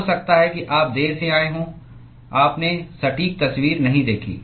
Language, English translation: Hindi, Maybe you came late you did not see the exact picture